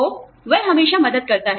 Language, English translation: Hindi, So, that always helps